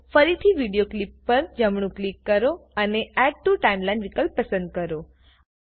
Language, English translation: Gujarati, So again, right click on the video clip and choose Add to Timeline option